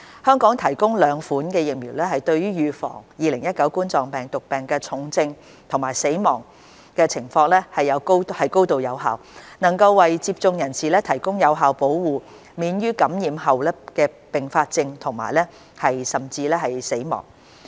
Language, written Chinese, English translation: Cantonese, 香港提供的兩款疫苗對於預防2019冠狀病毒病重症和死亡情況高度有效，能為接種人士提供有效保護，免於感染後併發重症甚至死亡。, The two types of vaccines administered in Hong Kong are highly effective in preventing severe cases and deaths arising from COVID - 19 . People who are vaccinated are effectively protected from serious complications and even deaths after infection